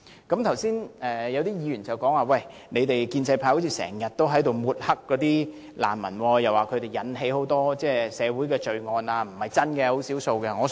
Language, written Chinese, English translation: Cantonese, 剛才有議員提出，建制派似乎總在抹黑難民，指他們引起很多社會罪案，但這並非事實，只屬少數。, Some Members have opined just now that the pro - establishment camp likes to smear refugees accusing them of causing crimes in Hong Kong . But these Members say that this is actually not the case and such refugees are few